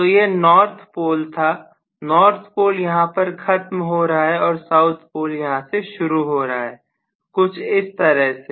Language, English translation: Hindi, So this is let us say north pole, north pole ends here and south pole is probably going to start from here something like this